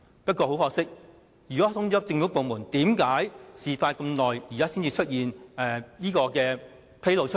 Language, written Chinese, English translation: Cantonese, 不過，如果事件已通知政府部門，為甚麼事發數年後，現在才被披露出來？, If government departments had been informed of it why the incident was uncovered only in recent days?